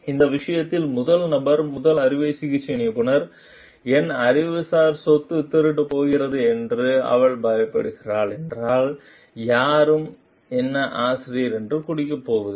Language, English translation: Tamil, The first person if the first surgeon in this case, if she is afraid like my intellectual property is going to get stolen nobody is going to refer to me as the author